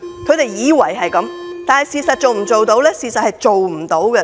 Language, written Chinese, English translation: Cantonese, 他們以為會這樣，但事實上能否做到呢？, Is this what they expect will happen? . But will that really happen?